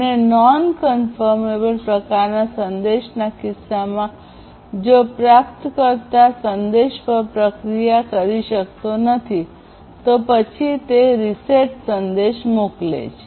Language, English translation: Gujarati, And, in case of non confirmable type message the recipient sends the reset message if it cannot process the message